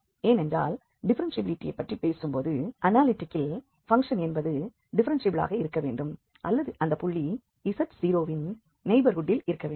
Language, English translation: Tamil, So, for analyticity the function need not to be just differentiable at the point z0, but it has to be also differentiable in the neighborhood of z0